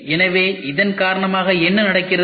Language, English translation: Tamil, So, because of this what happens